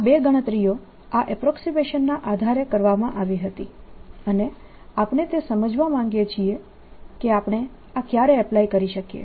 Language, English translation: Gujarati, these two calculations have been done under that approximation and we want to understand when we can apply this